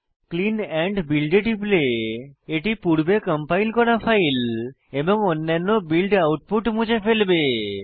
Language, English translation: Bengali, This will delete any previously compiled files and other build outputs